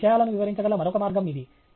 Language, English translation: Telugu, This is another way in which you can illustrate things